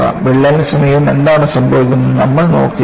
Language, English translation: Malayalam, We are only looking at what happens in the vicinity of the crack